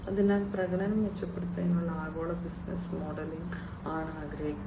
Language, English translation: Malayalam, So, global business modelling for performance improvement is what is desired